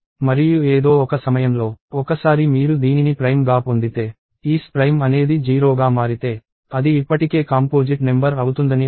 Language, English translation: Telugu, And at some point, once you get if isPrime; so if isPrime become 0, which means it is already a composite number